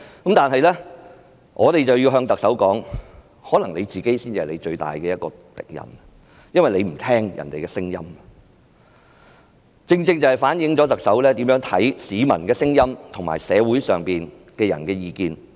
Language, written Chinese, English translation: Cantonese, 然而，我們要告訴特首，可能她才是自己最大的敵人，因為她不聽別人的聲音，正正反映出特首如何看待市民的聲音和社會人士的意見。, However we need to tell the Chief Executive that perhaps she herself is her own biggest enemy because she would not listen to other people . It precisely shows how the Chief Executive treats the voices of the people and the views of members of the community